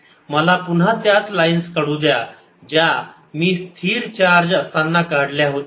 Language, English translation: Marathi, let me again write the same lines that i made for charge and it at rest